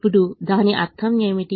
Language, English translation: Telugu, now, what does that mean